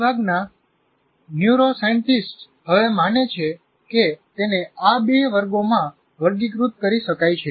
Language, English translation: Gujarati, This is how majority of the neuroscientists, as of today, they believe it can be classified into two categories